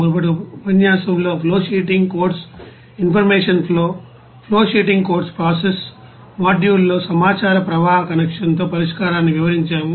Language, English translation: Telugu, And in the previous lecture, we have described the flowsheeting codes information flow in flowsheeting codes process module with information flow connection like this